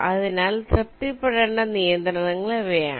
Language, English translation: Malayalam, so these are the constraints that need to be satisfied